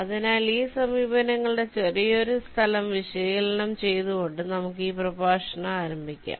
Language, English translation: Malayalam, ok, so let us start this lecture by analyzing the space complexity a little bit of these approaches